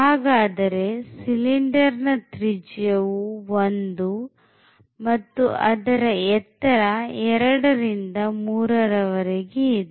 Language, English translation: Kannada, So, the radius of the cylinder is 1 and the height here is from 2 to 3